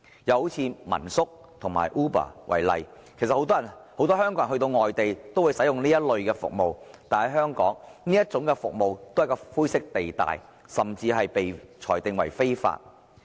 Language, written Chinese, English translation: Cantonese, 又以民宿和 Uber 為例，其實很多香港人到外地也會使用這類服務，但在香港，這些服務存在灰色地帶，甚至被裁定為非法。, Furthermore in the case of homestay lodging and Uber many Hong Kong people who travel to foreign places already use such services but in Hong Kong there are still grey areas concerning such services which have even been ruled illegal